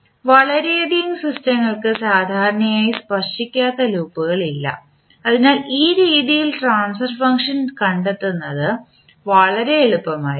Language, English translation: Malayalam, So many system generally we do not have the non touching loops, so in that way this will be very easy to find the transfer function